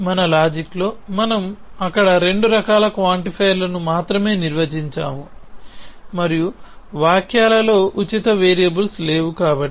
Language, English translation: Telugu, So, in our logic that we have defined there only 2 kinds of quantifiers and in the sentences there are no free variables